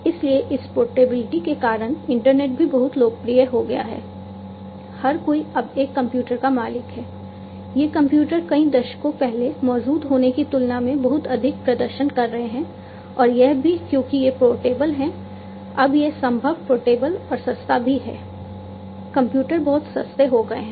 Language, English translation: Hindi, So, because of this portability the internet has also become very popular, everybody now owns a computer, these computers are very high performing than what is to exist several decades back, and also because these are portable now it is possible portable and cheap also these computers are very much cheap